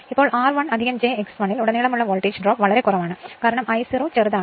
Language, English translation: Malayalam, Now, so, the voltage drop across R 1 plus j j X 1 is negligible because I 0 is very small right